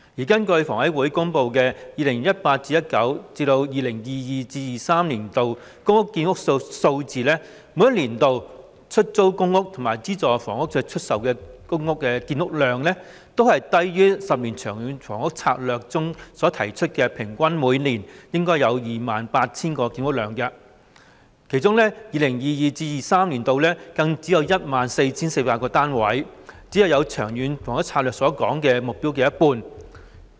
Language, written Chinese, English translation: Cantonese, 根據香港房屋委員會公布的 2018-2019 年度至 2022-2023 年度公屋建屋數字，每年度的出租公屋和資助出售房屋的建屋量，均低於《長遠房屋策略》提出每年平均 28,000 個單位的建屋量，其中 2022-2023 年度更只有 14,400 個單位，只達《長策》目標的一半。, According to the public housing production for 2018 - 2019 to 2022 - 2023 announced by the Hong Kong Housing Authority the annual productions of public rental housing and subsidised sale flats will both be lower than the annual average of 28 000 units proposed in the Long Term Housing Strategy LTHS . In 2022 - 2023 there will only be 14 400 units amounting to only half of the target set under LTHS